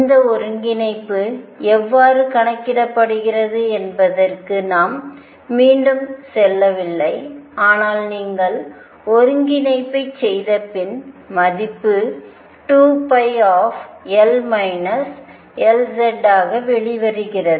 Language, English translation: Tamil, Again we are not going into how these integral is calculated, but it is value comes out to be after you perform the integral with comes out to be 2 pi L minus mod L z